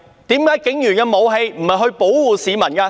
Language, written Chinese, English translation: Cantonese, 為何警員的武器不是用於保護市民？, Why did police officers not use their weapons to protect members of the public?